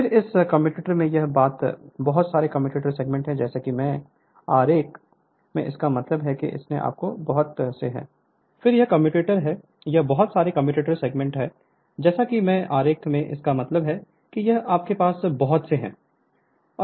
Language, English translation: Hindi, Then this is commutator this is so many commutator segment as I mean in the diagram it is few you will have many right